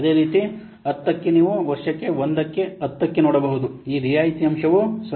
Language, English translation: Kannada, Similarly for 10 you can see for year 1 for 10 this discount factor is 0